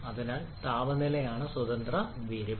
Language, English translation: Malayalam, So temperature is the independent variable